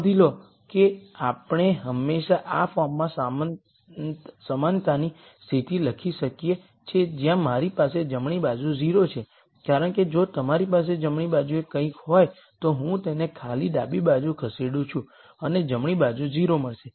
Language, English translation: Gujarati, Notice that we can always write the equality condition in this form where I have 0 on the right hand side because if you have something on the right hand side I simply move it to the left hand side and get a 0 on the right hand side